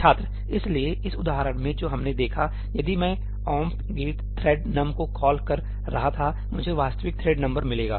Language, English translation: Hindi, So, in the example that we saw, if I were to call omp get thread num(), I would get the actual thread number